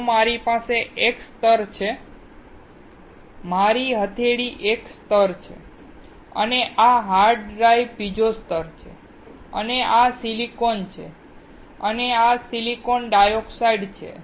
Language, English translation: Gujarati, If I have a layer; my palm is one layer and this hard drive is another layer and this is silicon and this is silicon dioxide